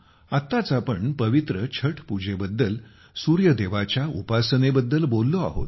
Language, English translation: Marathi, My dear countrymen, we have just talked about the holy Chhath Puja, the worship of Lord Surya